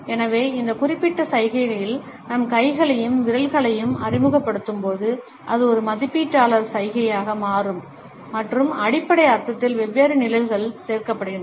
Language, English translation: Tamil, So, when we introduce our hands and fingers in this particular gesture then it becomes an evaluator gesture and different shades are added to the basic meaning